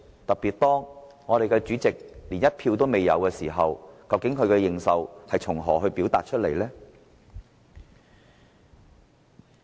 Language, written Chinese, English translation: Cantonese, 特別是當主席零票當選，究竟他的認受性從何而來？, In particular when the President is elected by zero vote where does his legitimacy come from?